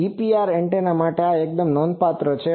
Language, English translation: Gujarati, This is quite significant for a GPR antenna